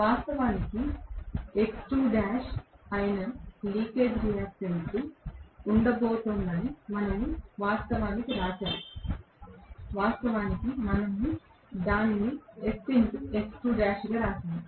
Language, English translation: Telugu, Then we wrote actually that there is going to be a leakage reactance which is actually x2 dash, originally we wrote that as Sx2 dash